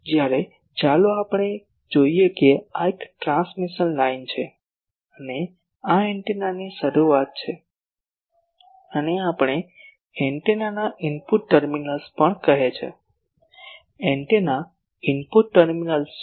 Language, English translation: Gujarati, Whereas, this will let us see that this is a transmission line and this is the start of the antenna, this also we called input terminals of the antenna; input terminals of the antenna